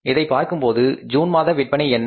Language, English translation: Tamil, Looking at this, what are the sales for the month of June